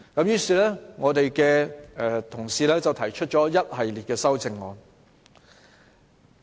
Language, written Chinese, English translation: Cantonese, 於是，我們的同事提出了一系列修正案。, For this reason we have proposed a series of amendments